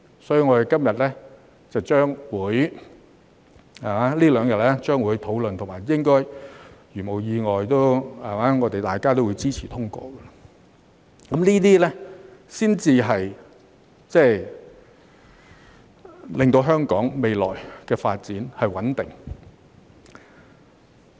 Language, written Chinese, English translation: Cantonese, 所以，我們這兩天將會進行討論，如無意外大家都會支持通過，這才能令香港未來的發展穩定。, As a result we are going to discuss it in these two days and all of us will support its passage if nothing special happens . This is the only way to ensure the stable development of Hong Kong in the future